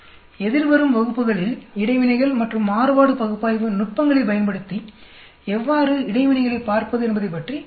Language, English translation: Tamil, We will talk about interactions and how to look at interactions using analysis of variance techniques in the forthcoming classes